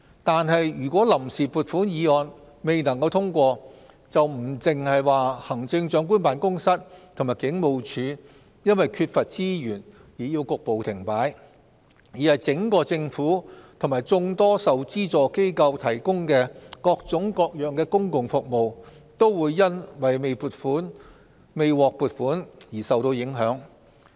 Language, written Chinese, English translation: Cantonese, 但是，如果臨時撥款議案未能通過，不單是行政長官辦公室及警務處因為缺乏資源而要局部停擺，而是整個政府及眾多受資助機構提供的各種各樣公共服務，都會因為未獲撥款而受到影響。, However if the Vote on Account Resolution is negatived not only the Chief Executives Office and the Hong Kong Police will come to a partial standstill due to the shortage of resources various services provided by the Government and various subvented organizations will also be affected as they are unable to obtain the allocation